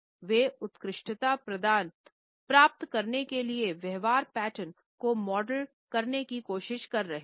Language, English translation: Hindi, They were trying to model behavioural patterns to obtain excellence